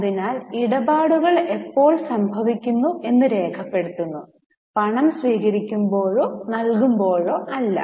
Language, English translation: Malayalam, So, transactions are recorded as and when they accrue or as and when they occur, not as and when the cash is received or paid